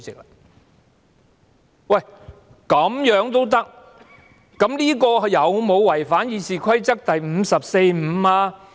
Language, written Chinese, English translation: Cantonese, 那麼，局長這樣做有否違反《議事規則》第545條呢？, So does the Secretarys approach violate Rule 545 of the Rules of Procedure?